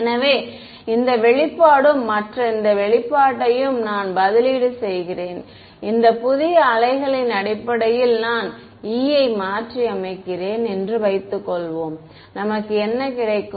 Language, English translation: Tamil, So, this expression and this expression, supposing I substitute the E in terms of this new waves that we have got, what do we get